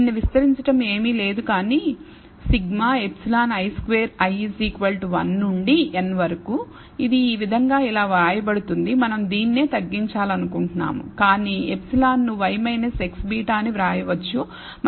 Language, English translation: Telugu, So, expanding this is nothing, but sigma epsilon i squared i equals 1 to n, that is compactly written like this and this is what we want to minimize, but epsilon itself can be written as y minus x beta